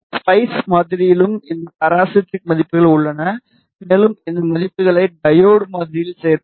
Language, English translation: Tamil, And the spice model also contains these parasitic values and we will include these values in the diode model